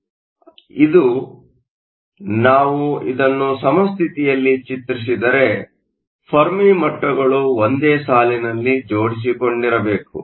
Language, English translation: Kannada, So, This, if we draw in equilibrium, the Fermi levels must line up so I will put an interface